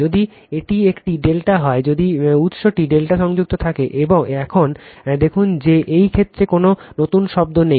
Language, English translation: Bengali, If it is a delta, if the source is delta connected right, now look into that in this case there is no new term